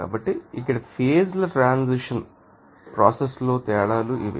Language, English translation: Telugu, So, these are the different you know that phase transition process here